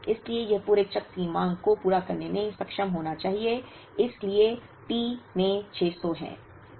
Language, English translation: Hindi, So, this should be capable of meeting the demand of the entire cycle so that is 600 into T